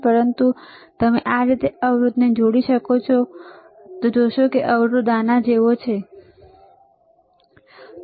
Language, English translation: Gujarati, But so, you can connect resistors like this, you see resistors are like this, all right